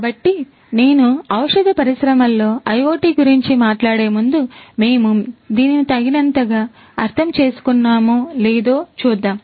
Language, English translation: Telugu, So, before I talk about IoT in pharmaceutical industry, let me see whether we understand this in detail enough